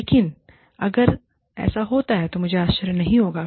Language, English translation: Hindi, But if it does happen, I will not be surprised